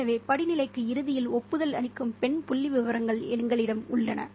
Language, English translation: Tamil, So we have female figures endorsing the hierarchy ultimately